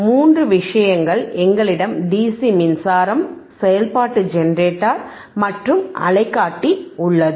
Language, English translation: Tamil, 3 things ,we have DC power supply, function generator, and oscilloscope